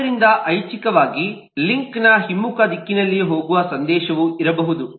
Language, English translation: Kannada, so there could optionally be a message which goes in the reverse direction of the link as well